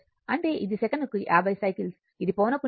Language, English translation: Telugu, So, 50 cycles per second